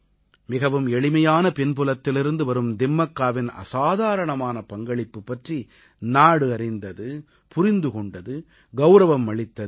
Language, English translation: Tamil, The country recognised and honoured the extraordinary contribution of Timmakka who comes from an ordinary background